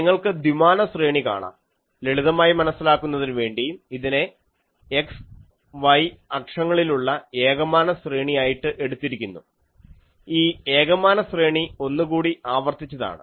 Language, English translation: Malayalam, So, you see a two dimensional array for the simplicity, I have taken that it is a one dimensional array in x axis and also in the z axis, this one dimensional array is repeated